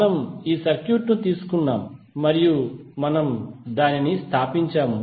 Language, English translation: Telugu, We took this circuit and we stabilized that